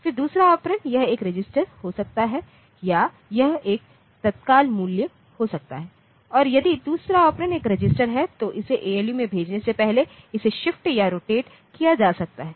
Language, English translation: Hindi, Then the second operand it can be a register or it can be an immediate value and if the second operand is a register it can be shifted or rotated before sending to the ALU